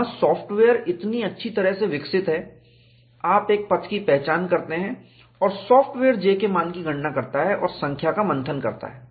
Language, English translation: Hindi, There the software is so well developed, you identify a path and the software calculates the value of J, and churns out the number